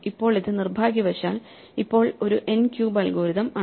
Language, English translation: Malayalam, Now, this unfortunately is effectively now an n cube algorithm